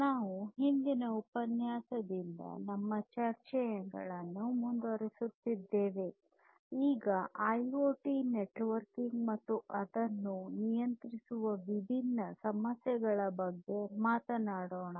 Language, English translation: Kannada, So, we now continue our discussions from the previous lecture on IoT Networking and the different issues governing it